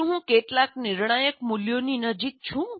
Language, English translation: Gujarati, Am I too close to some critical parameter